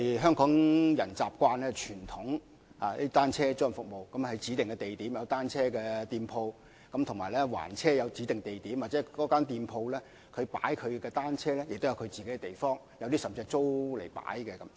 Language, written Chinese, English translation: Cantonese, 香港人習慣使用的傳統單車租賃服務，是在指定地點設有單車租賃店鋪，亦有指定地點還車，而有關店鋪亦自設地方擺放單車，甚至會租用地方停車。, The conventional bicycle rental service Hong Kong people have been using requires people to rent bicycles from shops at specific places and then return their rented bicycles at designated locations . Such shops have their own places for parking bicycles and some of them even rent a site for the purpose